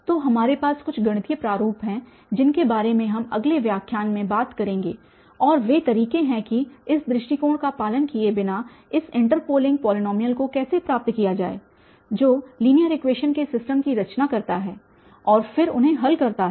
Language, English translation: Hindi, So, what we have then there are some mathematical formats which we will be talking about in the next lecture and those are the methods how to get this interpolating polynomial without following this approach that constructing the system of linear equations and then solving them